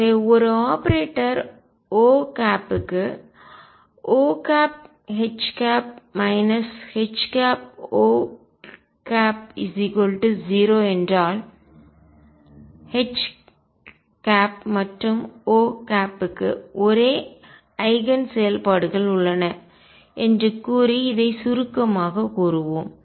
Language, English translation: Tamil, So, let us just summaries this by saying that if for an operator O, O H minus H O is 0 then H and O have the same Eigen functions